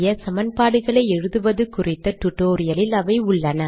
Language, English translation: Tamil, I am not going to explain how to write these equations